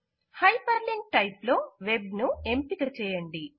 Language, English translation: Telugu, In the Hyperlink type, select Web